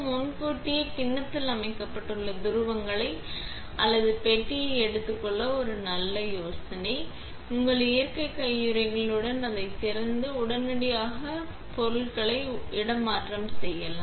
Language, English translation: Tamil, It is a good idea to take up the poles or the box that you need for the bowl set in advance, open it with your natural gloves so then you could displace your stuff immediately